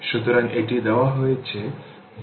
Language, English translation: Bengali, And say this is v and this is v 0 right